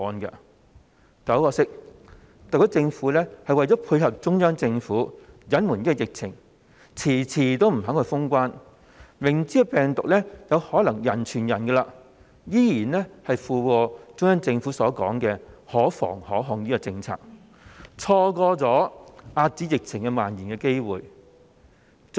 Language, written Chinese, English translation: Cantonese, 但很可惜，特區政府為了配合中央政府，隱瞞疫情，遲遲不肯封關，明知病毒有可能人傳人，依然附和中央政府所說的"可防可控"政策，錯過了遏止疫情蔓延的機會。, Yet regrettably the SAR Government held back the news about the epidemic situation and delayed the closure of the boundary control points so as to toe the Central Governments policy line . While being well aware of the possibility of human - to - human virus transmission it still echoed the Central Governments policy claim that the epidemic was preventable and controllable thus missing the opportunity to curb the spread of the epidemic